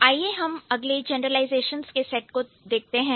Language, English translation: Hindi, So, uh, let's look at the next set of generalizations that we have